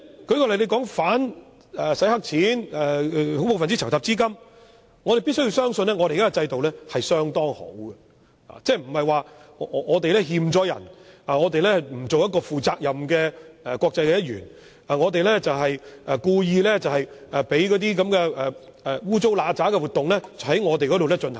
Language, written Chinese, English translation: Cantonese, 舉例，對於打擊洗黑錢及打擊恐怖分子籌集資金方面，我們必須相信我們的現有制度是有效的，即我們並無虧欠人，並非不負責任的國際一員，故意讓不見得光的活動在香港進行。, For example in respect of combating money laundering and terrorist financing we must believe that our present regime is effective; Hong Kong is not in the wrong and it is not an irresponsible member of the international community . We do not deliberately allow shady activities to take place in Hong Kong